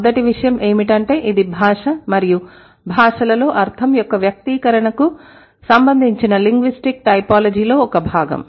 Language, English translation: Telugu, The first thing is that this is a part of linguistic typology that is concerned with the expression of meaning in language and languages